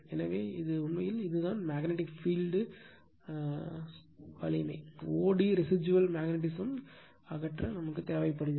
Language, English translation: Tamil, So, this is this is actually this one that magnetic field strength o d required to remove the residual magnetism is called the coercive force right